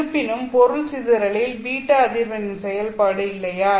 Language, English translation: Tamil, However, in material dispersion case, beta is a function of frequency